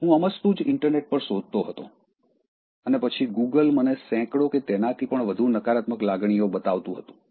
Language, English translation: Gujarati, I was just looking at the internet and then, Google was showing me about hundreds and more of negative emotions